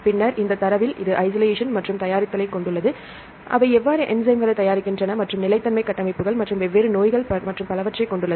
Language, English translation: Tamil, Then it contains data on the isolation and preparation, how they prepare the enzymes and the stability the structures and the different diseases and so on